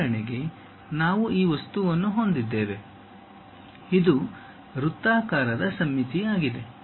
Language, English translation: Kannada, For example, we have this object; this is circular symmetric